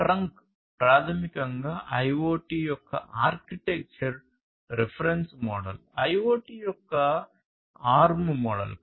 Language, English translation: Telugu, So, this is this trunk is basically the architectural reference model of IoT, the arm model of IoT